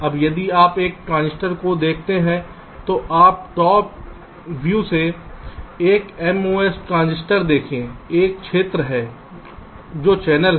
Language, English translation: Hindi, now, if you look at a transistor, say from a top view, a mos transistor, there is a region which is the channel